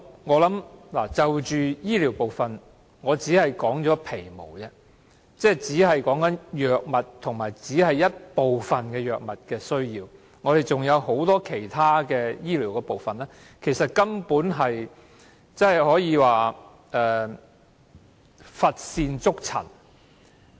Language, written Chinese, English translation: Cantonese, 我就醫療部分只說出了皮毛，只說出了一部分藥物上的需要，還有很多其他醫療範疇其實根本可以說是乏善足陳。, I have only pointed out very little with regard to health care―only a fraction of the needs for drugs . Many other areas of health care can indeed be regarded as offering little to write home about